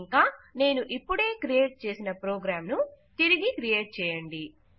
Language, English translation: Telugu, Also, try to recreate the program Ive just created